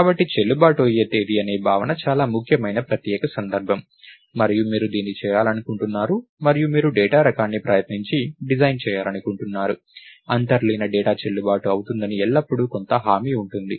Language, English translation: Telugu, So, the notion of a valid date is a very important special case, and you want to do this and you want to try and design our data type so, that there is always some guarantee that the underlying data is valid